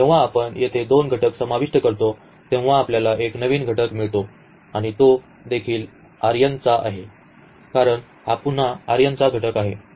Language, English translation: Marathi, So, when we add two elements here we are getting a new element and that also belongs to this R n because this is again a element of element in this R n